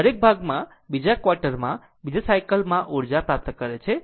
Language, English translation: Gujarati, So, this each part, it is receiving energy another cycle another quarter